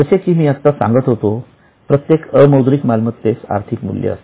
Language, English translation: Marathi, As I was just saying, even non monetary assets have a monetary value